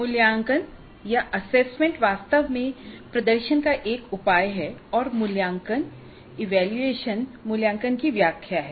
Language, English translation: Hindi, Now assessment actually is a measure of performance and evaluation is an interpretation of assessment